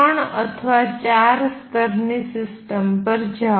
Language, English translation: Gujarati, So, go to a three or four level system